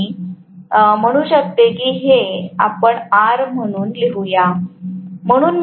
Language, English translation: Marathi, So, I can say maybe let me write this as R